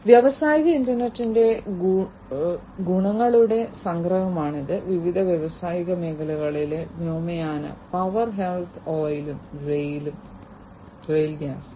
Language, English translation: Malayalam, This is a summary of the advantages of the industrial internet, in different industrial domains aviation power health oil and rail and gas